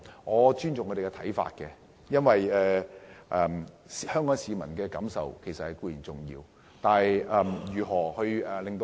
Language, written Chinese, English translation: Cantonese, 我尊重他們的看法，因為香港市民的感受也十分重要。, I respect their views as the feelings of the Hong Kong public are very important